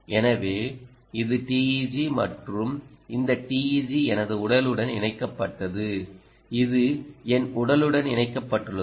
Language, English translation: Tamil, so this is the teg, and this teg was applied to my body right at connected to my body